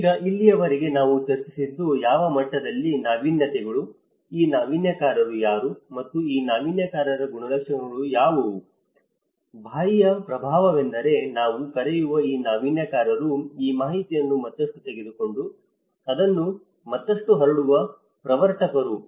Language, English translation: Kannada, Now, till now what we discussed is the innovations at what level, who are these innovators okay and what are the characteristics of these innovators; an external influence that is where these innovators we call are the pioneers who take this information further and diffuse it further